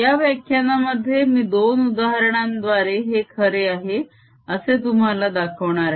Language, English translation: Marathi, in this lecture i am going to do two examples to show this is true